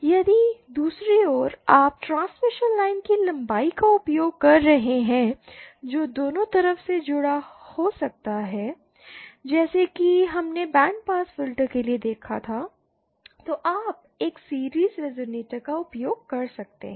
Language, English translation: Hindi, If on the other hand you are using length of the transmission line which can be connected on both sides as we saw for band pass filter, then you may use a series resonator